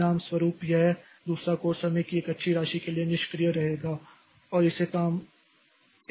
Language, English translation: Hindi, So as a, this second core will remain idle for a good amount of time and that has to be reduced